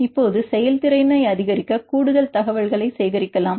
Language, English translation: Tamil, Now, we can add more information to increase the performance